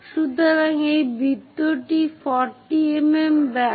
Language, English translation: Bengali, So, the circle is 40 mm diameter